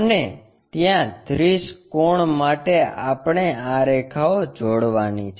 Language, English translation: Gujarati, And, there 30 angles we have to locate join these lines